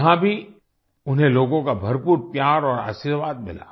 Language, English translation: Hindi, There too, he got lots of love and blessings from the people